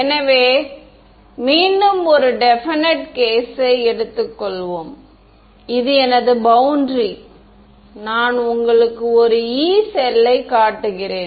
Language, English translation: Tamil, So, let us take a definite case again this is my boundary and I am showing you one Yee cell ok